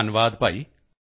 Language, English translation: Punjabi, Thank you brother